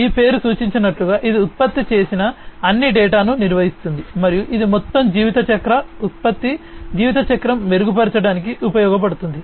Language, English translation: Telugu, As this name suggests, it manages all the generated data and that is used for improving the life cycle product lifecycle overall